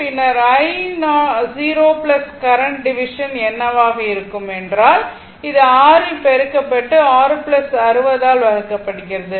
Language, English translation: Tamil, Then, we want that what will be i 0 plus current division, then it will be for current division path it is multiplied by 6 divided by 6 plus 60 right